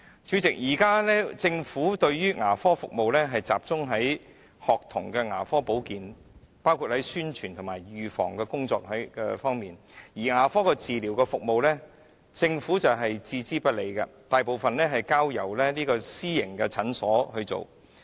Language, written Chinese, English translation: Cantonese, 主席，現時政府的牙科服務集中於學童牙科保健，包括在宣傳及預防的工作方面，但牙科治療服務卻置之不理，大部分交由私營診所負責。, Chairman at present the dental service of the Government is mainly focused on School Dental Service including publicity and prevention but it pays no heed to curative dental services which are provided mainly by the private sector